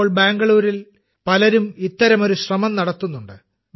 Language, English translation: Malayalam, Nowadays, many people are making such an effort in Bengaluru